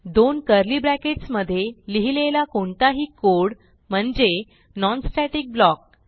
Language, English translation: Marathi, Any code written between two curly brackets is a non static block